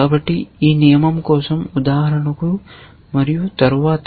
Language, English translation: Telugu, So, for this rule for example and then, so on